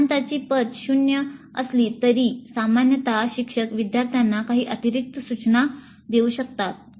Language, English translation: Marathi, Though the credits for theory are zero, usually the instructors do provide certain additional instruction to the students